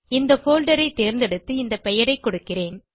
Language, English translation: Tamil, I will choose this folder and give this name